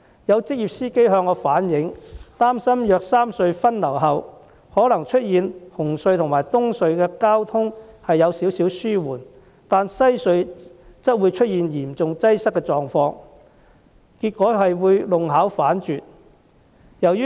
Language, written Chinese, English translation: Cantonese, 有職業司機向我反映，憂慮如果三隧分流後，可能出現紅磡海底隧道和東區海底隧道的交通稍微紓緩，但西區海底隧道嚴重擠塞的狀況，結果弄巧成拙。, Some professional drivers relayed to me their worry that the traffic re - distribution measure might result in a slight improvement in the traffic conditions at the Cross Harbour Tunnel and the Eastern Harbour Crossing but a serious congestion at the Western Harbour Crossing which is counterproductive